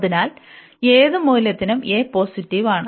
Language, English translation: Malayalam, So, for any value of this a positive